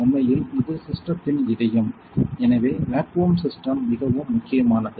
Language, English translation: Tamil, This is actually the heart of the system the vacuum system is very important